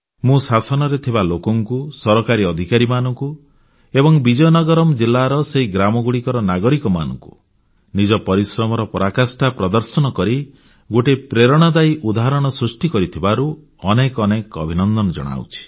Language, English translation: Odia, I congratulate the people in the government, government officials and the citizens of Vizianagaram district on this great accomplishment of achieving this feat through immense hard work and setting a very inspiring example in the process